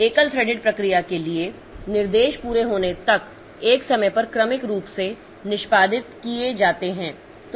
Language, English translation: Hindi, For a single threaded process, instructions are executed sequentially one at a time until completion